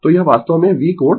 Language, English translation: Hindi, So, this is your actually V angle phi, right